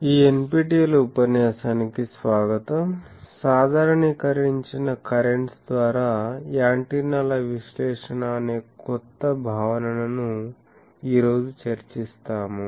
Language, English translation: Telugu, Welcome to this lecture on NPTEL, we will today discuss a new concept the Analysis of Antennas by Generalised currents